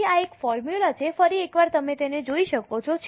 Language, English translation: Gujarati, So, this is a formula once again you can have a look at it